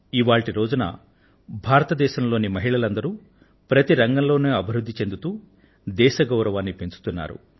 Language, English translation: Telugu, It's a matter of joy that women in India are taking rapid strides of advancement in all fields, bringing glory to the Nation